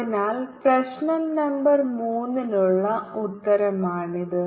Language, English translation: Malayalam, so this is the answer for problem number three